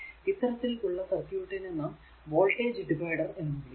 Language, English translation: Malayalam, So, that is why it is called your voltage divider